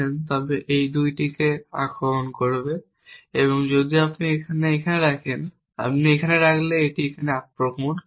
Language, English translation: Bengali, If you put it here it will attack these 2 if you put it here it will attack this if you put here it will attack these 2